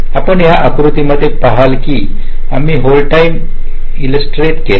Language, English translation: Marathi, so you see, in this diagram we have illustrated the hold time